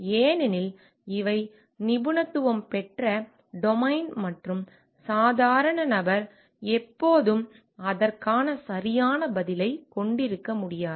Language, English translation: Tamil, Because these are expertized domain and lay person may not always have the correct answer for it